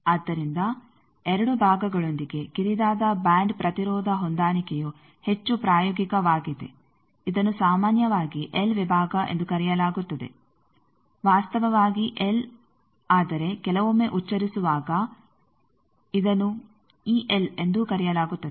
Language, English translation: Kannada, So, narrow band impedance matching with 2 parts is more practical generally that is called l section actually l, but to pronounce sometimes it is e l also called